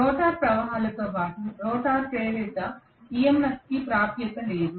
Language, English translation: Telugu, There is no access whatsoever to the rotor currents as well as rotor induced EMF